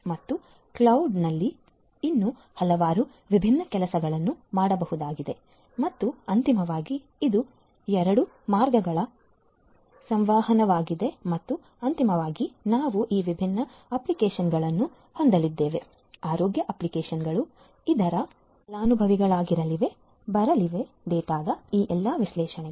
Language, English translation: Kannada, And there is lot of other different things could also be done at the cloud and finally, we are going to have this is two way communication and finally, we are going to have this different applications, this different applications healthcare applications which are going to be the beneficiaries from all these analytics on the data that are coming in right